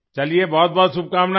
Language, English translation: Hindi, Wish you the very best